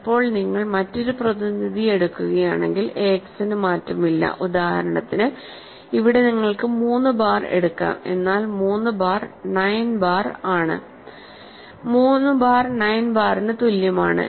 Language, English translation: Malayalam, Now, if you take another representative a x does not change for example, here you can take 3 bar, but 3 bar is also 9 bar right